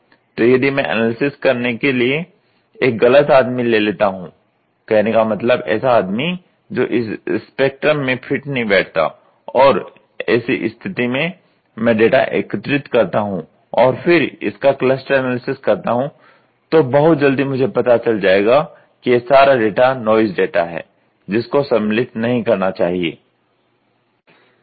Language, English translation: Hindi, So, if I try to take a wrong person; that means, to say who does not fit into my spectrum, if I have an odd man out and if I collect the data from the odd man out put it in the interpretation and if I do this cluster analysis I can quickly find out these are all noise datas which should not be considered, ok